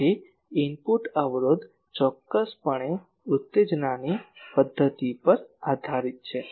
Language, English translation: Gujarati, So, input impedance definitely depend on method of excitation